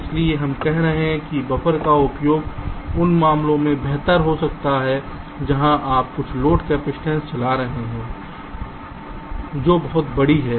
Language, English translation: Hindi, ok, so we are saying that the use of buffer can be better in cases where your driving some of the load capacitance is very large